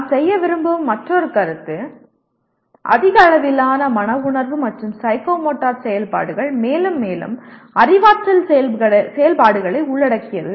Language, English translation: Tamil, And another comment that we would like to make, higher levels of affective and psychomotor activities involve more and more cognitive activities